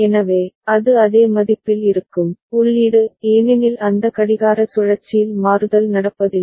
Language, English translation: Tamil, So, it will remain at the same value, input is because in that clock cycle there is not toggling happening